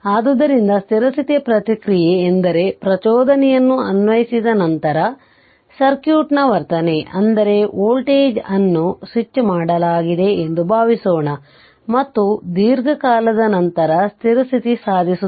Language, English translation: Kannada, Thus, the steady state steady state response is the behavior of the circuit a long time after an excitation is applied, that means you that your voltage source suppose it is switched on, and and your steady state will achieved after long time right